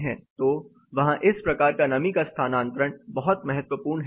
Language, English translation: Hindi, So, the kind of moisture transfer is very crucial there